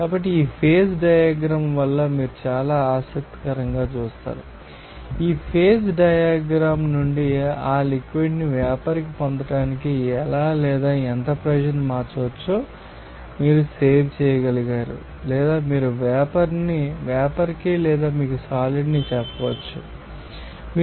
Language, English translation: Telugu, So, this pace diagram you will see very interesting that, from this phase diagram, you did be able to save that how or what extent of pressure can be changed to get you know that the liquid to vapour or you can say that solid to vapour or you can say that just by changing up it is temperature